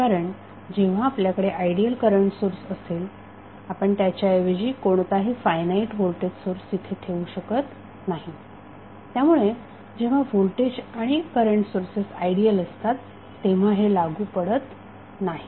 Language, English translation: Marathi, Why, because when you have ideal current source you cannot replace with any finite voltage source so, that is why, it is not applicable when the voltage and current sources are ideal